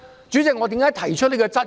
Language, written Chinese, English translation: Cantonese, 主席，為何我提出這質疑？, President why do I raise this question?